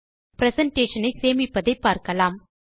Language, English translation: Tamil, Now lets learn how to save the presentation